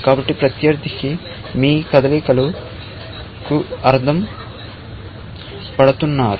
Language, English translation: Telugu, So, the opponent is mirroring your moves